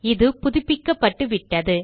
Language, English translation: Tamil, It has been updated